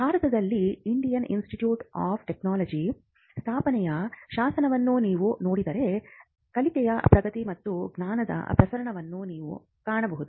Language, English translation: Kannada, Know if you look at the statute that establishes the Indian Institute of Technologies in India, you will find that it refers to advancement of learning and dissemination of knowledge